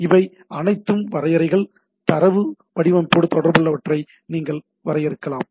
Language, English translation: Tamil, So, these are all definitions, you can define which are related to the data formatting